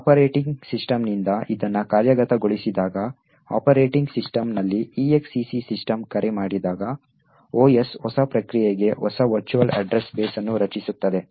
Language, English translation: Kannada, When it is executed by the operating system, so when the exec system call is invoked in the operating system, the OS would create a new virtual address base for the new process